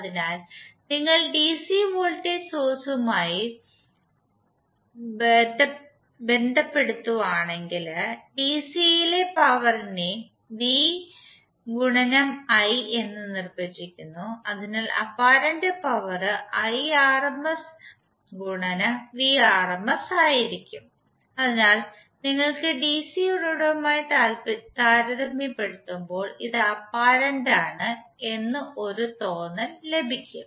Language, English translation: Malayalam, So if you corelate with the DC voltage source power you see that in DC we define power as v into i, so if you correlate the apparent power would be the Irms into Vrms, so that you get a feel of like this is apparent as compared with the DC source